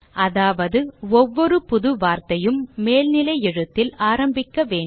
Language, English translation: Tamil, * Which means each new word begins with an upper case